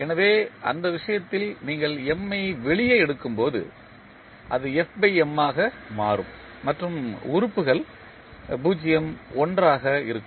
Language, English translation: Tamil, So, in that case when you take M out it will become f by M and the elements will be 0, 1